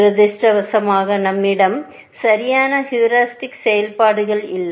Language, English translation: Tamil, Unfortunately, we do not have perfect heuristic functions